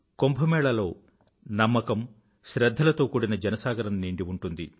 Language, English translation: Telugu, In the Kumbh Mela, there is a tidal upsurge of faith and reverence